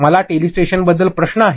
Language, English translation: Marathi, I have question about telestration